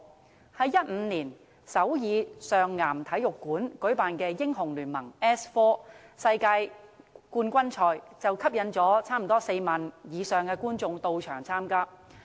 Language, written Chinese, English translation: Cantonese, 在2015年首爾上岩體育館舉辦的"英雄聯盟 "S4 世界冠軍賽，便吸引了超過4萬名觀眾到場。, For example the League of Legends S4 World Championship held in the Seoul World Cup Stadium in 2015 attracted an on - site audience of more than 40 000